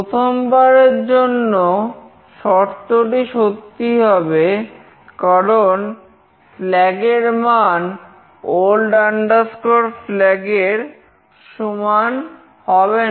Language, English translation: Bengali, For the first time the condition will be true, because flag is not equal to old flag